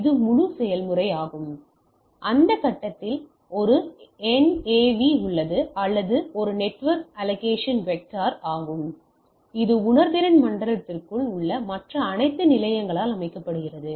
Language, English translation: Tamil, So, this is the whole process and there in that this phase there is a NAV or that is Network Allocation Vector which are set by the all the other station within the sensing zone